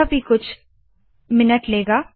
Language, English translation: Hindi, This will take few minutes